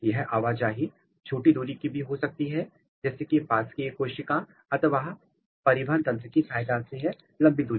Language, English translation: Hindi, The movement can be short distance, just next to the neighboring cell or even they can move through the transport system to a very very long distance